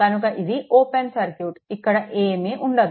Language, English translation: Telugu, So, it is open circuit; so, nothing is there